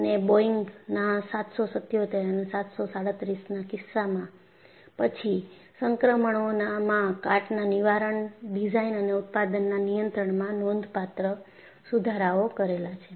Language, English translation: Gujarati, And in the case of Boeing777 and later versions of 737 have incorporated significant improvements in corrosion prevention, and control in design and manufacturing